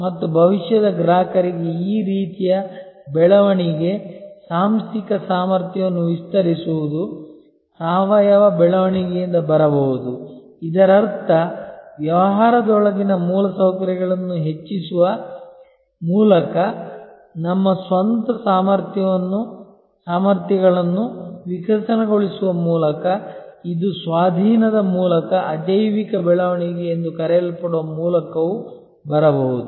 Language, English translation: Kannada, And this kind of growth for future customers, expanding the organizational capability can come from organic growth; that means from within by evolving our own competencies by increasing the infrastructure within the business of course, it can also come by what is known as inorganic growth by acquisition